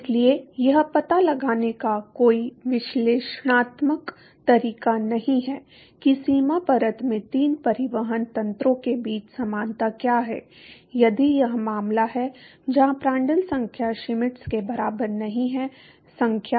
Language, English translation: Hindi, So, there is no analytical way of finding out what is the equivalence between the three transport mechanisms in the boundary layer, if this is the case where the Prandtl number is not equal to Schmidt number